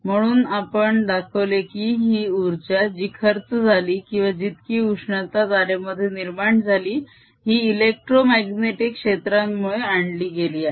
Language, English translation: Marathi, so we have shown that this energy which is being spent or which is being the heat which is being produced in the wire is actually brought in through these electromagnetic fields